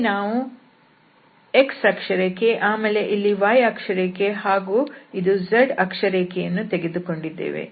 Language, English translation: Kannada, So, the idea here is, so, we can here take x and then this is y axis and then this is z axis